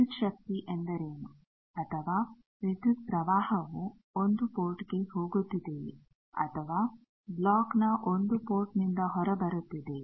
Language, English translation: Kannada, What is the voltage or what is the current going into 1 port or coming out of 1 port of the block